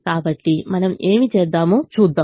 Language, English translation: Telugu, so let us see what we do